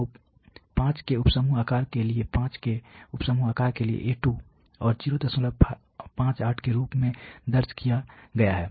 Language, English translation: Hindi, So, the A2 for a sub group size of 5 for a sub group size of 5 is recorded as 0